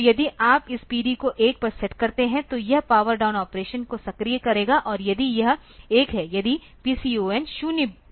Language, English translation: Hindi, So, if you set this P D to 1; so, this will activate the power down operation and if it I if PCON 0 is the IDL bit